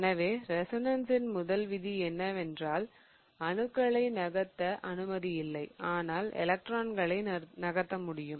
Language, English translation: Tamil, So, the first rule of resonance is that I am not allowed to move the atoms, okay, I'm not moving atoms, but what I'm allowed to move are the electrons, okay